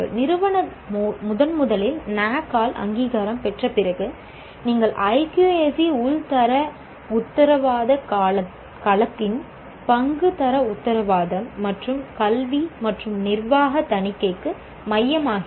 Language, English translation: Tamil, After an institution is accredited for the first time by NAC, the role of what you call IQAC internal quality assurance cell becomes central to quality assurance and academic and administrative audit